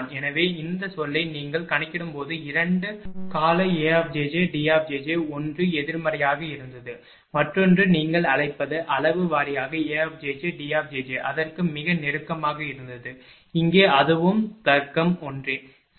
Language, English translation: Tamil, So, this term that is why when you are computing know 2 term A j j D j j 1 was negative another was your what you call magnitude wise A j j D j j were very close to that, here also it is logic is same, right